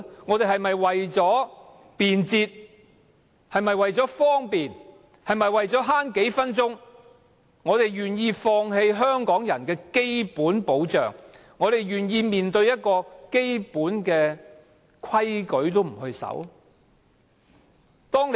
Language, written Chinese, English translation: Cantonese, 我們是否要為了便捷、為了節省數分鐘時間，而願意放棄香港人的基本保障，願意面對連基本規矩也不遵守的社會？, Are we willing for convenience sake and for saving a few minutes of commuting time to give up our basic protection and live in a society not even bound by the fundamental principle?